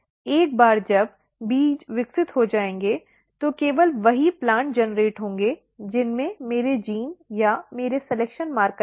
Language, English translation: Hindi, Once, the seeds grow only those plants will generate which will have my gene or my selection marker